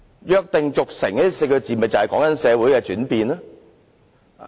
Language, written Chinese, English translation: Cantonese, "約定俗成"這4字便是形容社會的轉變。, The word convention is precisely used to describe the changes in society